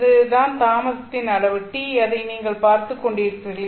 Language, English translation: Tamil, So this is the amount of delay tau that you are looking at